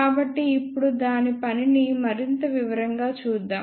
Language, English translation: Telugu, So, let us see its working in more detail now